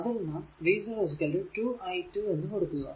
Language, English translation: Malayalam, Now we know sub that v 0 is equal to 2 i 2, right